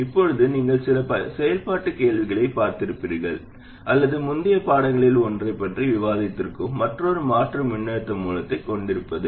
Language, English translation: Tamil, Now another alternative which you would have seen in some activity questions or I even discussed it in one of the earlier lessons, is to have a voltage source